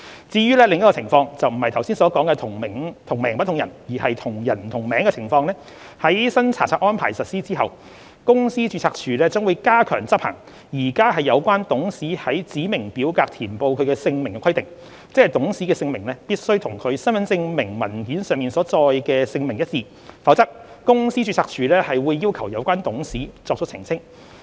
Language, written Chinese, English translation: Cantonese, 至於另一種情況，即不是剛才所說的"同名不同人"，而是"同人不同名"的情況，在新查冊安排實施後，公司註冊處將加強執行現行有關董事於指明表格填報其姓名的規定，即董事的姓名必須與其身份證明文件上所載的姓名一致，否則公司註冊處會要求有關董事作出澄清。, As for another situation ie . the scenario of same director with different names which is different from the aforesaid scenario of different directors with identical names upon implementation of the new inspection regime the Company Registry will step up the monitoring of the current requirement that the name of a director stated in specified forms must be the same as that in hisher proof of identity; otherwise the Company Registry will seek clarifications from the director concerned